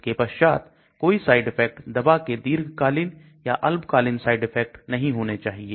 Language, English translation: Hindi, Then no side effects that means drug should not have any side effects short or long term